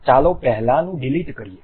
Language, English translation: Gujarati, Let us delete the earlier one